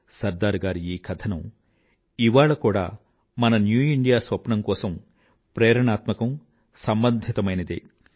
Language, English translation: Telugu, These lofty ideals of Sardar Sahab are relevant to and inspiring for our vision for a New India, even today